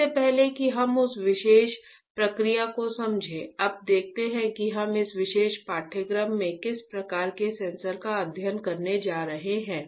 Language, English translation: Hindi, Before we understand that that particular process, now let us see that what kind of sensors we are going to study in this particular course